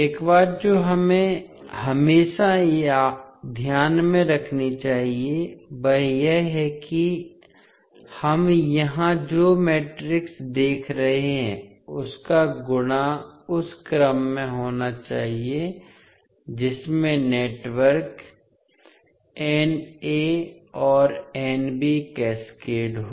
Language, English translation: Hindi, One thing which we have to always keep in mind that multiplication of matrices that is we are seeing here must be in the order in which networks N a and N b are cascaded